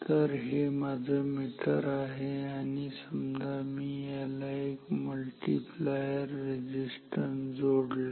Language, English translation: Marathi, So, this is my meter and I will connect say a multiplier resistance